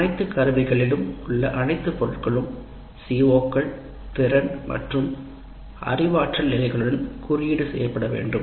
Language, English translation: Tamil, The all items in all instruments should be tagged with COs, competency and cognitive levels